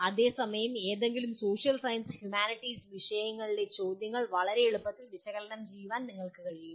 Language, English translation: Malayalam, Whereas you can ask analyze questions in any social science and humanities subjects very easily